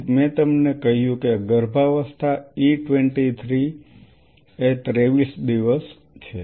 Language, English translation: Gujarati, So, I told you that the pregnancy goes up to say E 23, 23 days